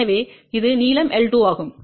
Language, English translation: Tamil, So, this is the length l 2